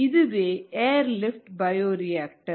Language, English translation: Tamil, so this is an air lift bioreactor